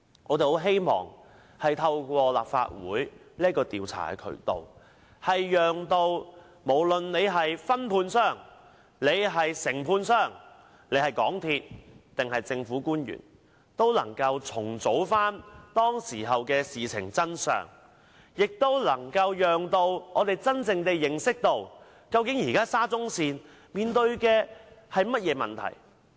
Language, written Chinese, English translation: Cantonese, 我很希望透過立法會的調查渠道，讓承建商、分判商、港鐵公司及政府官員重組事情的真相，使公眾真正認識到現時沙中線面對甚麼問題。, I very much hope that the Legislative Councils inquiry will allow the contractor the subcontractors MTRCL and government officials to reconstruct the truth behind the incident and enable the public to truly understand the problem currently facing SCL